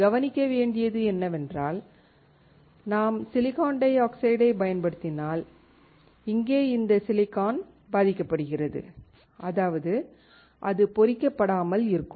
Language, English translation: Tamil, The point is that if we use SiO2, this silicon here is affected, that is, it does not get etched